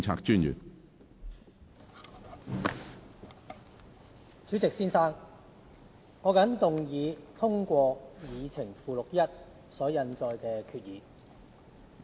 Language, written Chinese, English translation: Cantonese, 主席，我謹動議通過議程附錄1所印載的決議。, President I move that the resolution as printed on Appendix 1 of the Agenda be passed